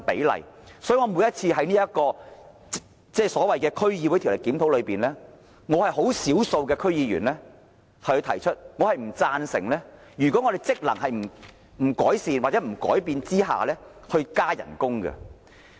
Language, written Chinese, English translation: Cantonese, 因此，每次在所謂的《區議會條例》檢討中，我是少數的區議員提出以下看法，就是在區議會職能未有改善或改變下，我不贊成加薪。, Hence in every so - called review of DCO I would take the minority view among DC members to oppose any pay rise for DC members before the functions of DCs were enhanced or changed